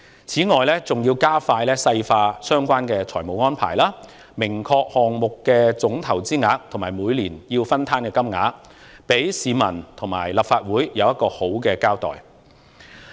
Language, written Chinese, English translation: Cantonese, 此外，還要加快細化相關的財政安排，明確釐定項目的總投資額及每年須攤分的金額，給市民和立法會一個好的交代。, In addition it is also necessary to work out the details of the relevant financial arrangements by setting the total amount of investment in the project and the amounts to be borne each year clearly so as to give the public and the Legislative Council a proper account